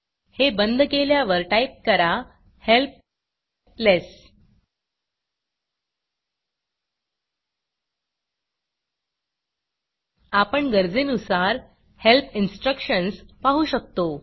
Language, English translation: Marathi, So now after closing this we type help less We see the required help instructions here